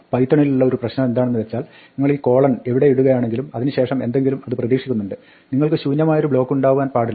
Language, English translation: Malayalam, Now the Problem with python is that wherever you put this kind of a colon it expects something after that, you cannot have an empty block